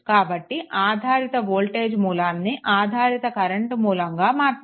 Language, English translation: Telugu, So, dependent voltage source will be converted to dependent current source right